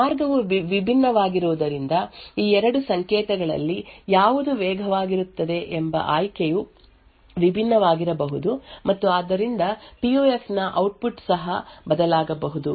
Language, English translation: Kannada, Since the path is different, the choice between which of these 2 signals is faster may also be different, and therefore the output of the PUF may also change